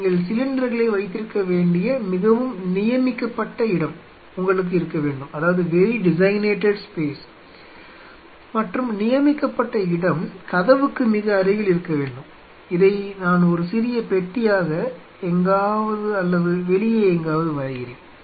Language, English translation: Tamil, So, have to have a designated space, very designated space where you should keep the cylinders and that designated space should be preferably very close to the door, somewhere where I am putting a small box or somewhere just outside